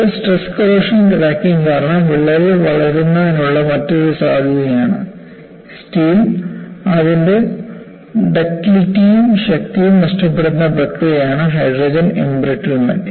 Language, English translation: Malayalam, This is another possibility, by which the cracks can grow due to stress corrosion cracking, and what you find is, hydrogen embrittlement is the process by which steel looses its ductility and strength